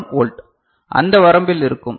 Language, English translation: Tamil, 1 volt, of that range alright